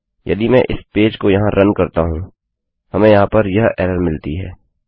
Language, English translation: Hindi, If I try to run this page here, we get this error here